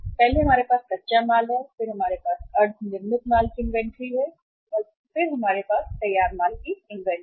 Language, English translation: Hindi, First we have raw material inventory then we have WIP inventory and then we have the finished goods inventory